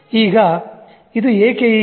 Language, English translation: Kannada, Now, why is it so